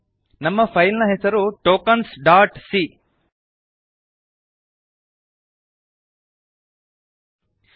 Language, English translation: Kannada, Note that our file name is Tokens .c